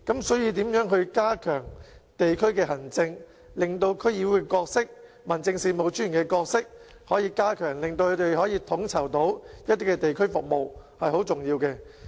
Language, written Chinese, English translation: Cantonese, 所以，如何加強地區行政、加強區議會和民政事務專員的角色，令他們能夠統籌一些地區服務，是相當重要的。, In this connection it is very important to enhance district administration and the role of DCs and that of District Officers to facilitate coordination of community services